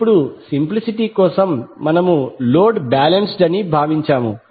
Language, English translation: Telugu, Now for simplicity we have assumed that the load is balanced